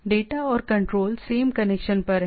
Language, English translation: Hindi, Data and control are over the same connection right